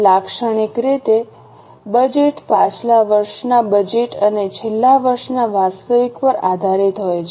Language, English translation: Gujarati, Typically a budget is based on last year's budget and last year's actual